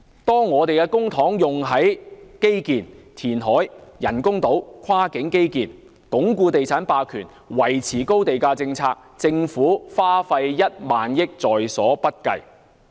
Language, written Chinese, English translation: Cantonese, 當我們的公帑用在基建、填海、興建人工島、跨境基建、鞏固地產霸權、維持高地價政策時，政府花費1萬億元也在所不計。, When public money is spent on infrastructure reclamation construction of artificial islands cross - boundary infrastructure consolidating property hegemony and maintaining the high land price policy the Government will not care about using 1 trillion